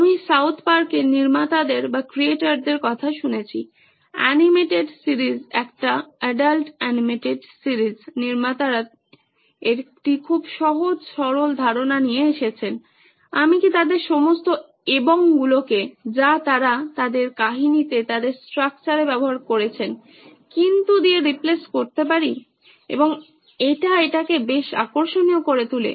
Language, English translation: Bengali, I have heard of the creators of South Park, the animated series an adult animated series, the creators came up with a very very easy simple concept is can I replace all the “and” that they use in their story in their structure with a “but” and it made it pretty interesting